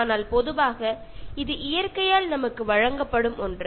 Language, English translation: Tamil, But generally, it is something that is being given to us by nature